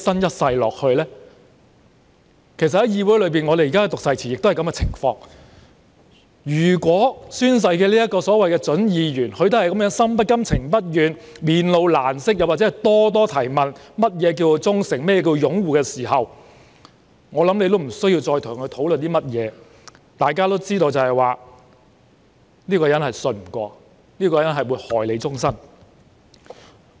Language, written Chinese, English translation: Cantonese, 這與在議會內宣讀誓詞的情況相同，如果宣誓的準議員心不甘、情不願，面露難色或就何謂"忠誠"、"擁護"等諸多疑問，我想也不用再跟他討論甚麼，因為大家都知道這個人信不過、會害人一生。, This is tantamount to reading the oath in this Council . If a prospective Member shows signs of reluctance or expresses doubts about the meaning of faithful uphold and so on when taking oath I think there is no point of discussing with him as everyone knows that this person is not trustworthy and will victimize the life of people